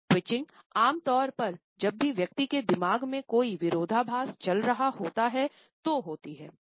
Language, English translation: Hindi, So, twitching normally occurs whenever there is a contradiction going on in the mind of the person